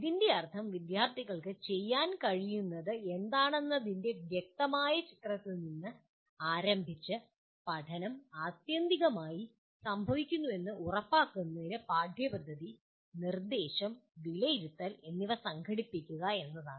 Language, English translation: Malayalam, What this means is starting with a clear picture of what is important for students to be able to do and then organizing curriculum, instruction, and assessment to make sure this learning ultimately happens